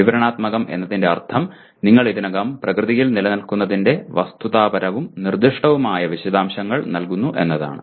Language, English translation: Malayalam, Descriptive means you are giving factual specific details of what already exist in nature